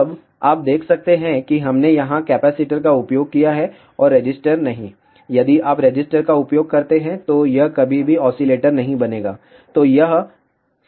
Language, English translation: Hindi, Now, you can see that we have used the capacitors over here and not resistors; if you use resistors, it will never ever become oscillator